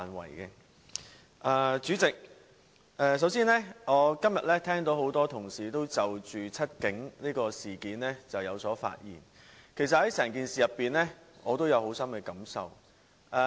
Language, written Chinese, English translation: Cantonese, 代理主席，首先，我今天聽到多位同事均就"七警"事件發言，其實我對整件事也有深刻感受。, Deputy President first of all I have heard a number of Honourable colleagues speak on The Seven Cops case . Indeed I also have strong feelings about the incident